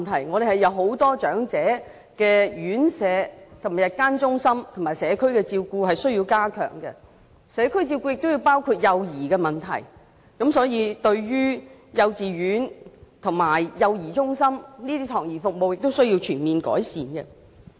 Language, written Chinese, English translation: Cantonese, 我們有很多長者院舍、日間中心和社區照顧服務需要加強，而社區照顧方面亦包含了幼兒問題，所以，幼稚園和幼兒中心的託兒服務也需要全面改善。, Services concerning residential homes for the elderly day care centres and community care need to be enhanced . As community care services also cover child care the overall improvements in the child care services provided by kindergartens and child care centres are needed